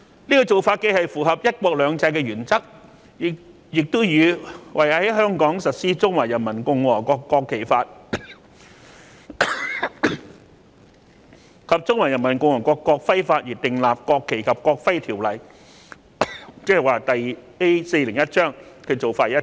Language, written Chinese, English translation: Cantonese, 這種做法既符合"一國兩制"的原則，亦與為在香港實施《中華人民共和國國旗法》及《中華人民共和國國徽法》而訂立《國旗及國徽條例》的做法一致。, This is consistent with the principle of one country two systems and the enactment of the National Flag and National Emblem Ordinance for implementing the Law of the Peoples Republic of China on the National Flag and the Law of the Peoples Republic of China on the National Emblem